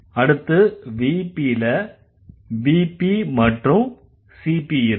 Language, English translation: Tamil, So in case, the VP goes to V and CP